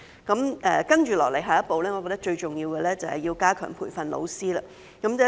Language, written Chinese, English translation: Cantonese, 接下來，我認為最重要的下一步，就是要加強培訓老師。, As for the next step I think it is all - important to strengthen the training of teachers